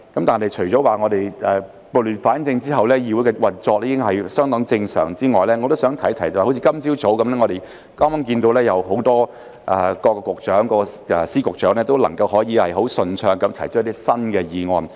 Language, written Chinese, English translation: Cantonese, 但是，除了說撥亂反正後議會的運作已經相當正常之外，我亦想提及，好像今天早上，我們剛剛看到各司局長都能夠很順暢地提出一些新議案。, However apart from saying that the operation of the Council has been quite normal after the chaos have been rectified I would also like to say that just like this morning we noticed just now that various Secretaries were able to propose some new motions very smoothly